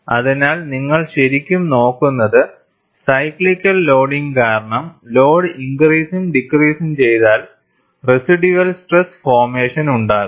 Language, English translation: Malayalam, So, what you are really looking at is, because of cyclical loading, if the load is increased and decreased, there is residual stress formation